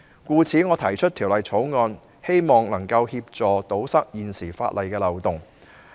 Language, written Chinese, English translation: Cantonese, 故此，我提出《條例草案》，希望能夠協助堵塞現時法例的漏洞。, For these reasons I propose the Bill in the hope of assisting in plugging the existing loopholes in law